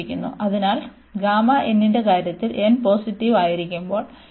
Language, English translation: Malayalam, So, in case of this gamma n whenever n is positive, this converges